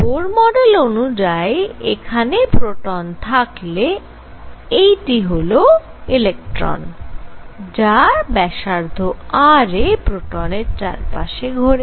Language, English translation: Bengali, So, what Bohr said is here is this proton, here is this electron going around and this radius r